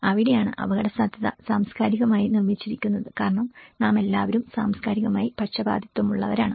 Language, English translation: Malayalam, So that is where risk is cultural constructed because we are all culturally biased